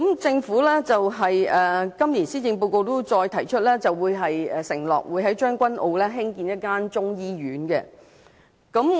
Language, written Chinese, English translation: Cantonese, 政府在今年施政報告中承諾會在將軍澳興建中醫院。, The Government made an undertaking to construct a Chinese medicine hospital in Tseung Kwan O in this years Policy Address